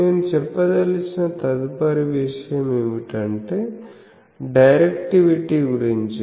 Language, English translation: Telugu, Next thing that I want to say is what about the directivity